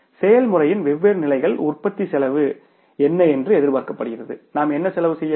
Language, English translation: Tamil, What is the production cost at the different levels of the process is expected and what cost should we incur